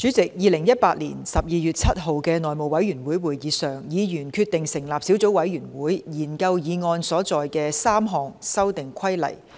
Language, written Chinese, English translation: Cantonese, 在2018年12月7日的內務委員會會議上，議員決定成立小組委員會，研究議案所載的3項修訂規例。, At the House Committee meeting on 7 December 2018 Members decided to set up a subcommittee to study the three Amendment Regulations as set out in the motion